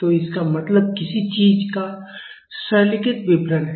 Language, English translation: Hindi, So, it means a simplified description of something